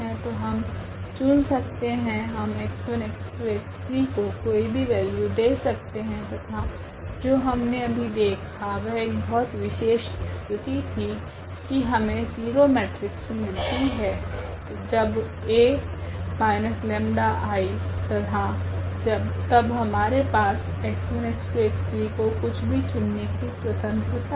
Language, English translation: Hindi, So, we can choose, we can assign any value to x 1 x 2 x 3 they are free here and that is a very special case which we have just seen now, that we got the 0 matrix here as A minus lambda I and then we have the possibility of choosing this x 1 x 2 x 3 freely